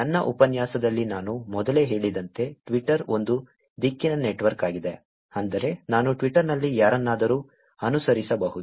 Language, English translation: Kannada, As I said earlier in my lecture, Twitter is a unidirectional network, which is, I can follow anybody on Twitter